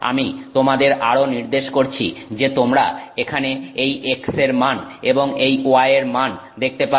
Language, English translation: Bengali, I will also point out to you that you can see here the value X and the value Y